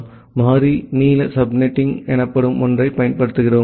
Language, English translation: Tamil, So, we use something called a variable length subnetting